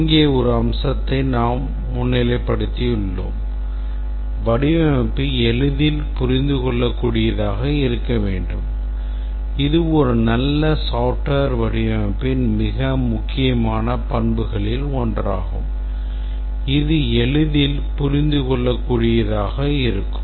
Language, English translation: Tamil, But we have highlighted one aspect here is that the design should be easily understandable and it turns out that this is one of the most important characteristic of a good software design that it should be easily understandable